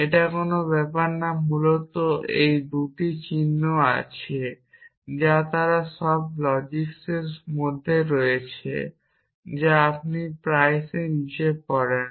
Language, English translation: Bengali, It does not matter basically they are these 2 symbols which are they are in all logics this you often read as bottom